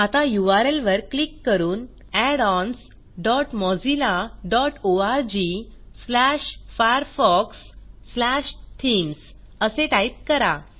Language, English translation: Marathi, Now, click on the URL bar and type addons dot mozilla dot org slash firefox slash themes Press Enter